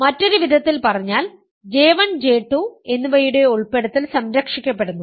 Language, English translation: Malayalam, In other words, the inclusion of J1 and J2 is preserved